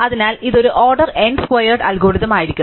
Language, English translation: Malayalam, So, this would be an order n squared algorithm